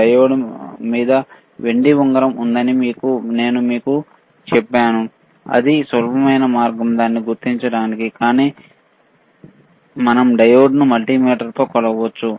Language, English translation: Telugu, I told you there is a silver ring on the diode that is easy way of identifying it, but we have to measure the diode with the multimeter